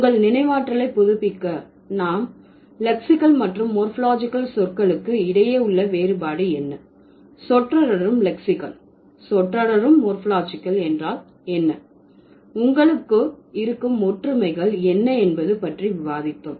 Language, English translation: Tamil, To refresh your memory, we did discuss what is the difference between lexical and morphological the words, the phrase lexical and the phrase morphological and what are the similarities that you might have